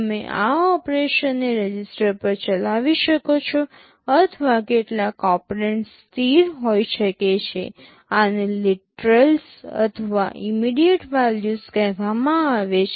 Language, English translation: Gujarati, You may carry out these operations on registers, or some of the operands may be constants these are called literals or immediate values